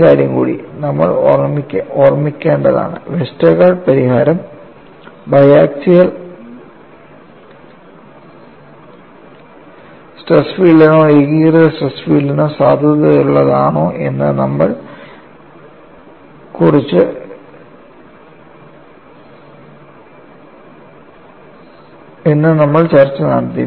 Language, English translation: Malayalam, And, one more thing is, you have to keep in mind, we had some discussion whether Westergaard solution is valid for biaxial stress filed or uniaxial stress field, then we argued in fashion